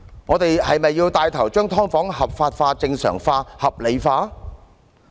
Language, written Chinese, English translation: Cantonese, 我們是否要牽頭將"劏房"合法化、正常化、合理化？, Are we going to take the lead in legalizing normalizing and rationalizing subdivided units?